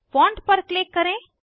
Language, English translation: Hindi, Click on Font tab